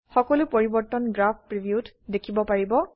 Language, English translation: Assamese, All changes can be seen in the Graph preview area